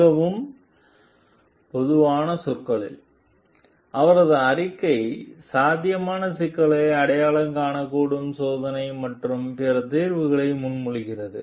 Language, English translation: Tamil, In the very general terms, her report identifies potential problems and proposes additional testing and other solutions